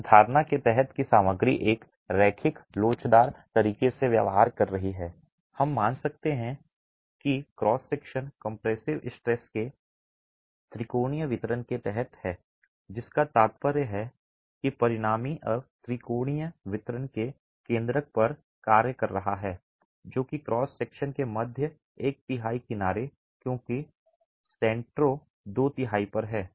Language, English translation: Hindi, Under the assumption that the material is behaving in a linear elastic manner, we can assume that the cross section is under a triangular distribution of compressive stresses stresses which simply implies that the resultant now is acting at the centroid of that triangular distribution which is at the edge of the middle 1 third of the cross section because the centroid is at 2 thirds hence the middle the edge of the middle 1 3rd is where the resultant of the lateral plus gravity forces is acting